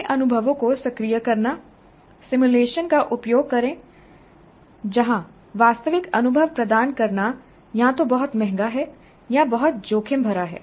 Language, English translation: Hindi, And activating new experiences, use simulation where providing real experiences is either too expensive or too risky